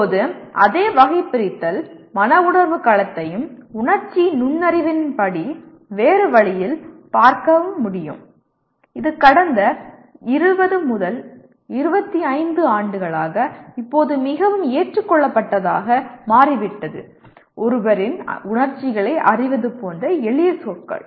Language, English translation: Tamil, also be looked at in a different way as per emotional intelligence which is now for the last 20 25 years it has become quite accepted ones and putting in simpler words like knowing one’s emotions